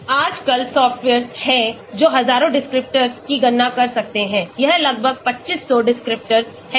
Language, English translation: Hindi, Nowadays, there are softwares which can calculate thousands of descriptions, it is almost 2500 descriptors